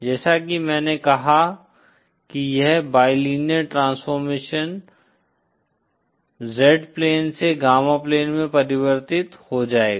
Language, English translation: Hindi, As I said this bilinear transformation will convert from the Z plane to the gamma plane